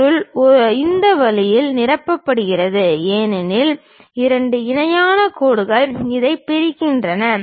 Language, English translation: Tamil, And material is filled in this way, because two parallel lines separated by this